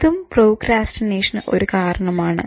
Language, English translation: Malayalam, Procrastination, what is it